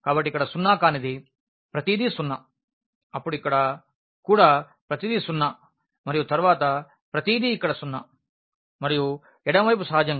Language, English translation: Telugu, So, here something non zero, everything zero then here also then everything zero and then everything zero here and the left hand side naturally